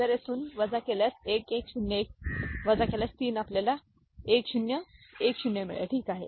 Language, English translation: Marathi, So, the result will be if you subtract from here you get 1101 subtracted with by 3 we get 1010, ok